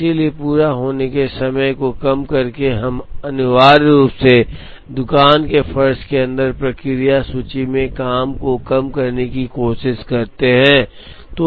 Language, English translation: Hindi, So, by minimizing the sum of completion times, we essentially try to minimize the work in process inventory inside the shop floor